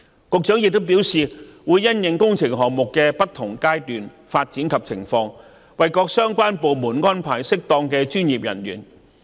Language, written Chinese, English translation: Cantonese, 局長亦表示，會因應工程項目的不同階段和發展情況，為各相關部門安排適當的專業人員。, The Secretary also says that the Government will having regard to the different stages and development situation of the works projects provide relevant departments with manpower of suitable professional grades